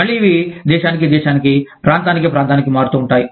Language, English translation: Telugu, Again, these would vary from, country to country, from, region to region